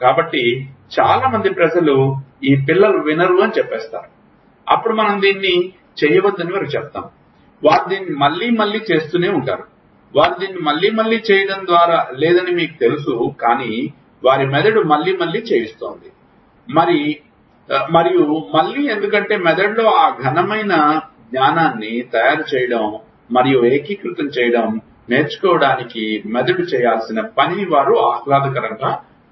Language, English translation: Telugu, So, difficult lot of people will say this kids do not listen, then we tell them not to do it, they will keep do it again and again, you know they are not doing it again and again, their brain is doing it again and again because they find it activity pleasurable the brain has to keep doing to learn to make and consolidate that solid knowledge in the brain